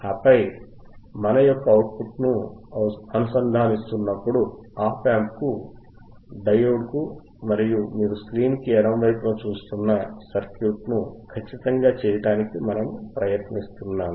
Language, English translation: Telugu, And then we are connecting the output of the op amp to the diode, we are exactly trying to make the same circuit which as which you can see on the left side of the screen alright